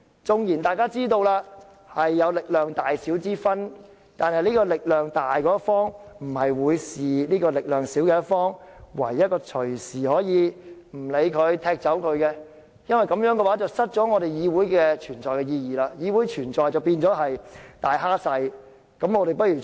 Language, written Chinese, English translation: Cantonese, 縱然力量有大小之別，但力量強大的一方不應對力量弱小的一方置之不理，認為可以隨時踢走，否則議會便會失卻其存在意義，議會的存在便變成"大蝦細"。, Even though there are differences in strength the party with a stronger force should not be indifferent to the party with a weaker force thinking that the latter can be removed at any time; otherwise the Council will lose the significance of its existence and the existence of the Council will become the strong bullying the weak